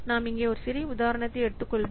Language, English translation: Tamil, We'll take a small example here